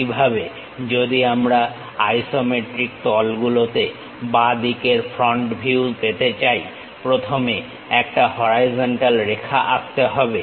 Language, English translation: Bengali, Similarly, if we would like to have left sided front view in the isometric planes first draw a horizontal line